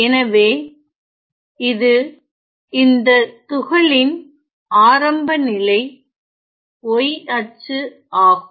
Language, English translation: Tamil, So, this is the initial y coordinate of the particle ok